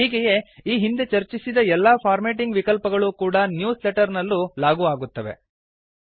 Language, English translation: Kannada, Hence,we see that all the formatting options discussed in the previous tutorials can be applied in newsletters, too